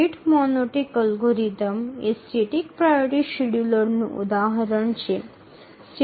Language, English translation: Gujarati, The rate monotonic algorithm is an example of a static priority scheduler